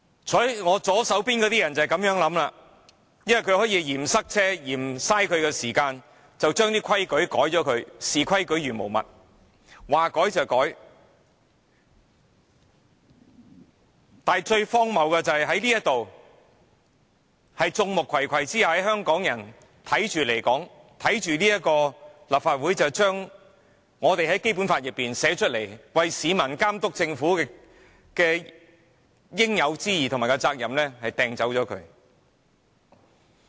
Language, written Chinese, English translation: Cantonese, 坐在我左手邊的議員的想法便是這樣，他們嫌塞車、嫌花時間，便要修改規則，視規矩如無物，說改便改，但最荒謬的是，現在在眾目睽睽之下，讓香港人目睹立法會將《基本法》訂明為市民監督政府的應有之義和責任刪除。, The thinking of the Members to my left is exactly that . They complained about traffic jams and time consumption so they disregarded all rules and insisted on amending RoP . The most ridiculous point is that the Legislative Council is being stripped of its due responsibility stipulated in the Basic Law to oversee the Government right before the eyes of all Hong Kong people